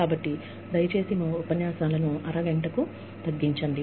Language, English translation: Telugu, So, you please cut short your lectures, to half an hour